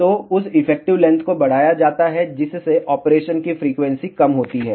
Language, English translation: Hindi, So, that effective length is increased thereby reducing the frequency of operation